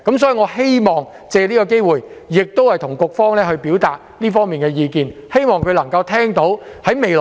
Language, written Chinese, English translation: Cantonese, 所以，我希望藉此機會向局方表達這方面的意見，亦希望局方聽到我的意見。, Therefore I would like to take this opportunity to express my view to the Bureau in this regard and I hope the Bureau will listen to my view